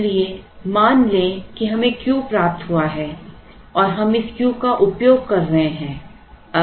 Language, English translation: Hindi, So, let us assume that we have received Q and we are consuming or using this Q